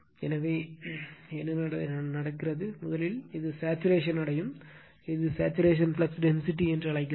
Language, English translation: Tamil, So, what is happening, first it is we are from here, we have increasing the it will reach to the saturation, we call saturation flux density